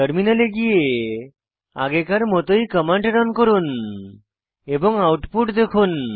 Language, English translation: Bengali, Switch to the terminal and run the command like before and see the output